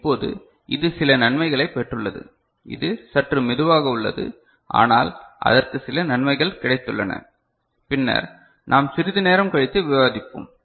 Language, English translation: Tamil, Now, it has got certain advantage, it is little bit slower lower, but it has got certain advantage which we shall discuss little later